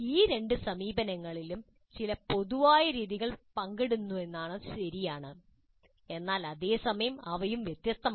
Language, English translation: Malayalam, It is true that both these approaches share certain common methodologies but at the same time they are distinct also